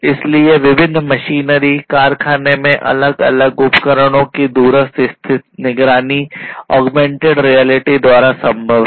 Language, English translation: Hindi, So, remote monitoring of different machinery, different equipments in s factory is possible with the help of augmented reality